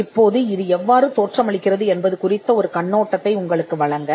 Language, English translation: Tamil, Now to give you an overview of how this looks